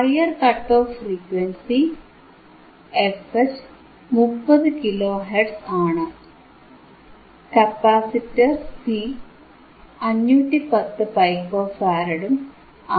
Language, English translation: Malayalam, Higher cut off frequency f H, is 30 kilo hertz, capacitor C is 510 pico farad, right